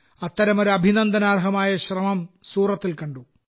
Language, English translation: Malayalam, One such commendable effort has been observed in Surat